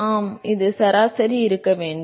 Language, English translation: Tamil, It should be average